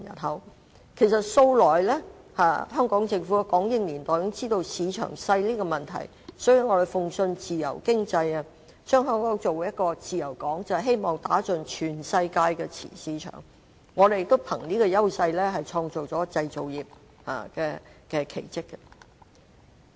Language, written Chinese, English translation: Cantonese, 香港政府由港英年代開始已經知道市場小的問題，所以向來信奉自由經濟，將香港打造成一個自由港，便是希望打入全世界的市場，我們也憑着這個優勢，創造出製造業的奇蹟。, Even when Hong Kong was still under British governance the Hong Kong Government was already well aware of the problem of a small market thus it had all along upheld the free economy belief and developed Hong Kong as a free port for the purpose of entering the world market . With this advantage we have created miracles in the manufacturing industry